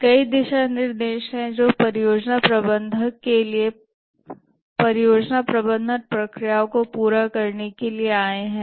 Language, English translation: Hindi, There are several guidelines which have come up for the project manager to carry out the project management processes